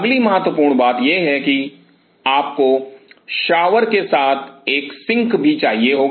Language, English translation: Hindi, Next important thing is that you have to have a sink along with a shower